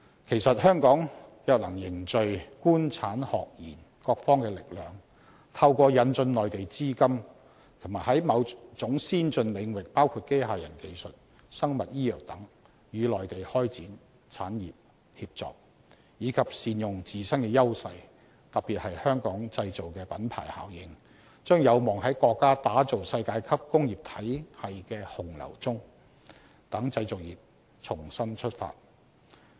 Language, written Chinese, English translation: Cantonese, 其實，香港若能凝聚官、產、學、研各方的力量，透過引進內地資金及在某種先進領域包括機械人技術、生物醫藥等與內地開展產業協作，以及善用自身的優勢，特別是"香港製造"的品牌效應，將有望在國家打造世界級工業體系的洪流中讓製造業重新出發。, In fact if Hong Kong can consolidate the strength of the Government industry academia and research sectors by introducing Mainland capitals as well as certain advanced technologies such as robotics and biomedicine through the cooperation with Mainland companies on top of making use of Hong Kongs own edge in particular the Made in Hong Kong branding effect Hong Kongs manufacturing industry may be able to take off again along with the powerful currents of Chinas development of a world - class industrial system